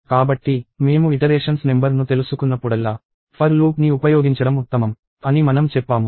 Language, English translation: Telugu, So, I said whenever we will know the number of iterations, it is better to use a for loop